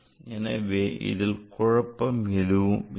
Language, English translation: Tamil, So, there is no complication